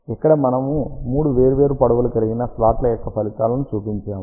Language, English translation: Telugu, Here we have shown the results of three different slot lengths